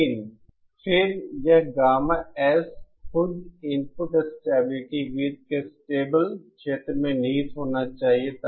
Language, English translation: Hindi, But then, this gamma S itself should lie in the stable region of the input stability circle